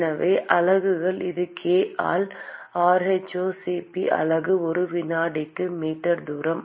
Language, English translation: Tamil, So, the units are it is k by rho*Cp the unit is meter square per second